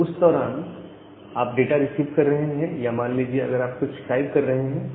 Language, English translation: Hindi, So, when you are receiving a message during that time say, you are typing something